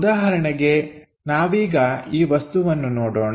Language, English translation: Kannada, For example, let us look at this object